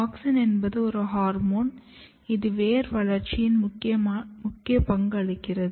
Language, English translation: Tamil, And auxin is very important hormone which plays a very important role in the root development